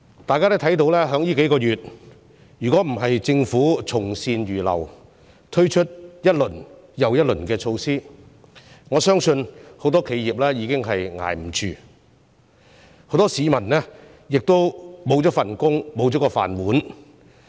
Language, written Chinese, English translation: Cantonese, 大家都看到，這數個月若不是政府從善如流，推出一輪又一輪的措施，我相信很多企業已經撐不下去，很多市民亦會失去工作，生計不保。, As we can see had the Government not been receptive to advice and rolled out rounds of measures in these few months I believe many enterprises would have failed to survive and many people would have been out of job and lost their means of living